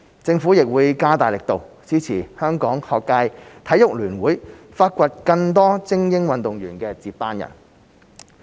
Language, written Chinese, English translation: Cantonese, 政府亦會加大力度支持香港學界體育聯會發掘更多精英運動員的接班人。, The Government will also step up its efforts to support the Hong Kong Schools Sports Federation in identifying more successors to elite athletes